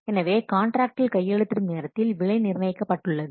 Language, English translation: Tamil, So at the time of signing the contract, the price is fixed